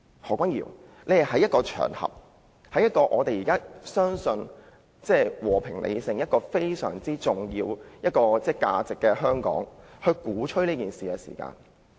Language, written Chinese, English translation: Cantonese, 何君堯議員當時在一個公開場合，在主張和平理性這項非常重要的核心價值的香港鼓吹暴力。, Dr Junius HO was attending a public event then . He has incited violence in Hong Kong where the very important core values of peace and rationality are advocated